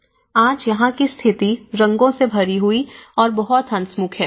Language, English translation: Hindi, Today, the situation here, is very colorful and very cheerful